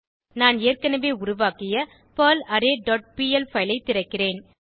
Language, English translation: Tamil, I will open perlArray dot pl file which I have already created